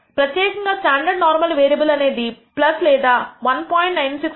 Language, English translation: Telugu, More particularly the standard normal variable will lie between plus or minus 1